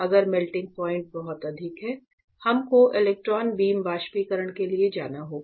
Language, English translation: Hindi, So, in this case, if the melting point is extremely high we will go for electron beam evaporation